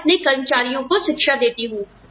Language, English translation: Hindi, I educate my employees